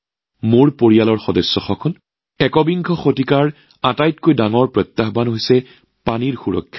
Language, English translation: Assamese, My family members, one of the biggest challenges of the 21st century is 'Water Security'